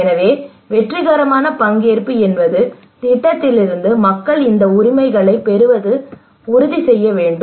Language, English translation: Tamil, So we should make sure that a successful participation means that people get these ownerships from the project